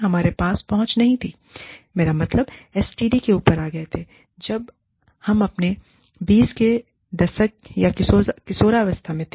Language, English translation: Hindi, We did not have access to, I mean, STD's were came up, when we were in our 20